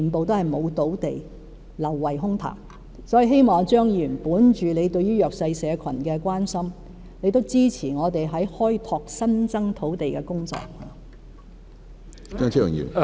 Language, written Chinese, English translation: Cantonese, 所以，我希望張議員本着對弱勢社群的關心，支持我們開拓新增土地的工作。, So I hope Dr CHEUNG will out of his concern for the disadvantaged groups in the community support our work on developing more new land